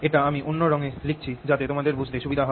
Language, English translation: Bengali, ok, let me write it again in different color so that you see it clearly